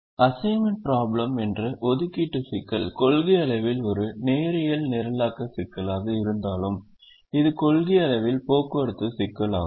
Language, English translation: Tamil, even though the assignments problem is in principle a linear programming problem, it is also in principle a transportation problem